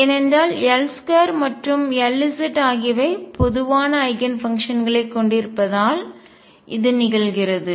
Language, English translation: Tamil, So, this is because L square and L z have common Eigenfunctions